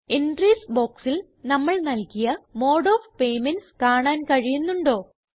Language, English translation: Malayalam, Can you see the options that we entered as Mode of Payments in the Entries box